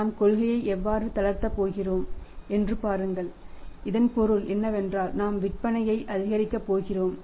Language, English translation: Tamil, See when we are going to relax the policy it means objective in the mind is that we are going to increase the sales